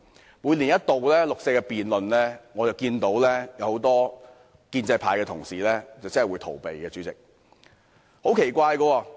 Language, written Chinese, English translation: Cantonese, 在一年一度的六四辯論中，我看到很多建制派同事採取逃避態度。, In the annual debate on the 4 June incident I see many Members of the pro - establishment camp adopt an attitude of evasion